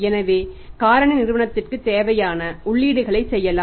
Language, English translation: Tamil, So, the Factor can make the say enquired entries